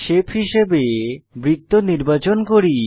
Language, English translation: Bengali, Lets select Shape as circle